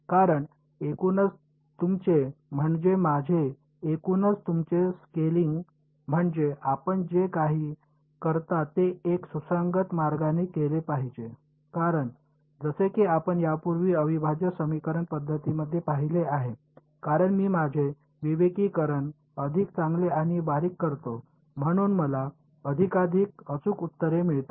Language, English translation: Marathi, Because, overall your I mean your scaling overall whatever you do, it should be done in a consistent way because as you seen in integral equation methods before, as I make my discretization finer and finer I get more and more accurate answers